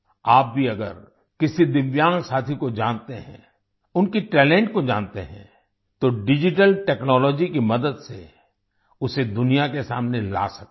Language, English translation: Hindi, If you also know a Divyang friend, know their talent, then with the help of digital technology, you can bring them to the fore in front of the world